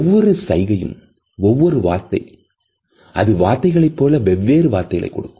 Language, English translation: Tamil, Each gesture is like a single word and as we know a word may have different meaning